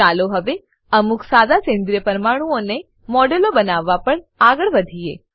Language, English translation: Gujarati, Lets now proceed to create models of some simple organic molecules